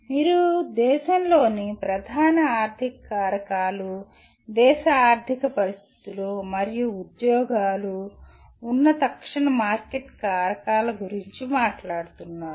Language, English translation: Telugu, You are talking of the major economic factors of the country, economic scenario of the country and immediate market factors, where the jobs are